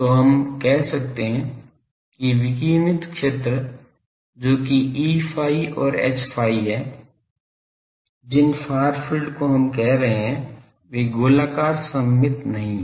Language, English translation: Hindi, So, we can say that the radiated fields that E theta and H phi, far fields we are saying, they are not spherically symmetric